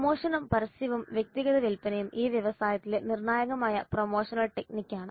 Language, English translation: Malayalam, Promotion, advertisement and personal selling are crucial promotional techniques in this industry